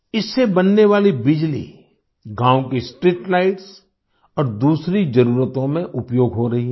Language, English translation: Hindi, The electricity generated from this power plant is utilized for streetlights and other needs of the village